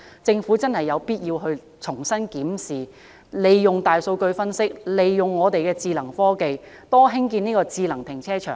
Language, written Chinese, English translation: Cantonese, 政府真的有必要重新檢視，利用大數據分折，利用智能科技，多興建智能停車場。, It is necessary for the Government to conduct a review again analyse the big data and use smart technologies to build more automated car parks